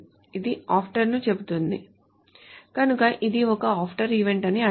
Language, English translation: Telugu, It says after, so that means it's an after event